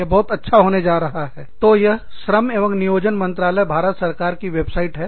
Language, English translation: Hindi, So, this is, The Ministry of Labor and Employment, Government of India